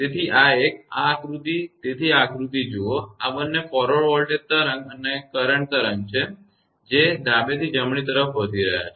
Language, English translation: Gujarati, So, this one; this figure, so this figure look these two are forward voltage wave and current wave moving from left to right